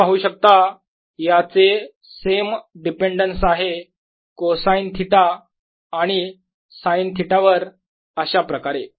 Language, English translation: Marathi, you see, this has the same dependence on cosine theta and sine theta as the answer here